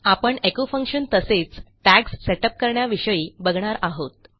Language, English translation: Marathi, Ill just go through how to use the echo function and how to set up your tags